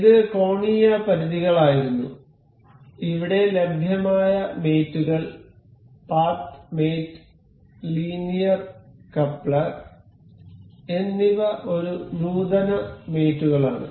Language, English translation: Malayalam, So, this was angular limits, the other mates available here is in advanced mate is path mate and linear coupler